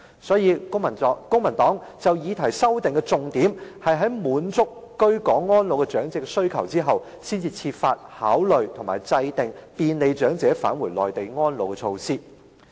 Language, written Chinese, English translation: Cantonese, 所以，公民黨就議案提出的修訂重點是，應該要先滿足居港安老長者的需求，然後才考慮制訂便利長者返回內地安老的措施。, Hence a major amendment focus of the Civic Party is that we should first meet the needs of elderly persons who spend their twilight years in Hong Kong and then consider formulating measures that can facilitate elderly persons to go to the Mainland for retirement